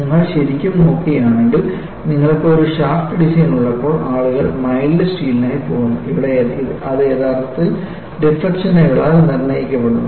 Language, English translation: Malayalam, And if you really look at, when you have a shaft design, people go for mild steel and there it is actually dictated by the deflection